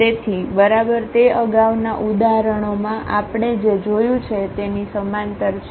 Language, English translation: Gujarati, So, exactly it is a parallel to what we have just seen in previous examples